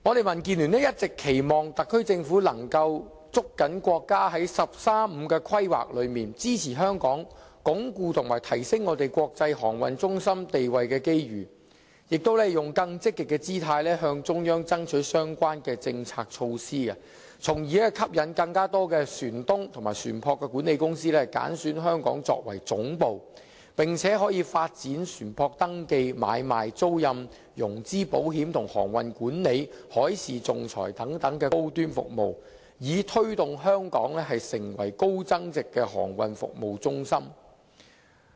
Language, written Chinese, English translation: Cantonese, 民建聯一直期望特區政府捉緊國家在"十三五"規劃中支持香港鞏固及提升香港國際航運中心地位的機遇，以及以更積極的姿態，向中央爭取相關的政策措施，從而吸引更多船東和船舶管理公司揀選香港作為總部，並且發展船舶登記買賣、租賃、融資保險及航運管理、海事仲裁等高端服務，以推動香港成為高增值的航運服務中心。, DAB has been urging the Hong Kong Special Administrative Region SAR Government to grasp the opportunity presented by the countrys National 13 Five - Year Plan and its support therein for Hong Kong to reinforce and enhance its position as an international maritime centre; to adopt a more proactive attitude in striving for the relevant policy measures from the Central Authorities with a view to inducing more ship owners and ship management companies to choose Hong Kong as their headquarters; and to develop high - end services such as the registration trading leasing financing and insurance of ships maritime management and maritime arbitration so as to foster the development of Hong Kong as a high value - added maritime services centre